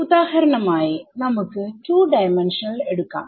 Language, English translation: Malayalam, So let us take 2 D for example, ok